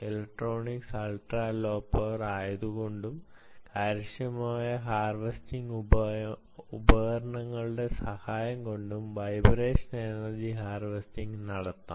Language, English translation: Malayalam, ok, so electronics is ultra low power efficient tool, the efficient harvest tools, all of it is made it very, very rich for vibration energy harvesting